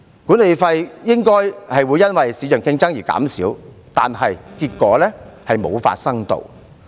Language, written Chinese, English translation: Cantonese, 管理費應該會因為市場競爭而減少，但結果卻沒有發生。, The management fee should have been reduced due to market competition but this has not happened yet